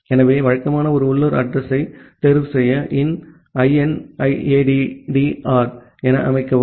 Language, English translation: Tamil, So, usually set to inaddr any to choose a local address